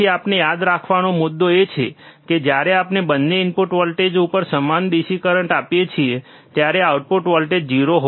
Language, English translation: Gujarati, So, the point that we have to remember is, when we apply equal DC currents to the input voltage to both the input voltage, right